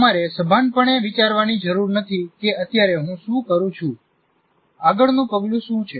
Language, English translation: Gujarati, You don't have to consciously think of what exactly do I do now, what is the next step